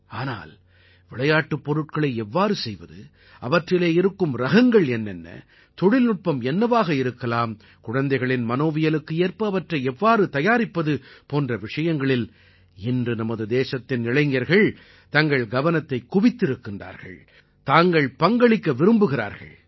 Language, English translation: Tamil, But, how to craft toys, what diversity to be lent to toys, what technology to be used, how toys should be, compatible with child psychology…these are points where the youth of the country is applying minds to…wishing to contribute something